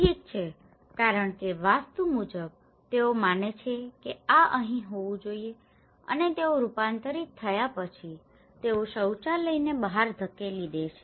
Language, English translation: Gujarati, Okay, because according to Vastu, they believe that this should be here and they converted then they push the toilet outside